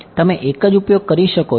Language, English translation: Gujarati, Yeah I am using the same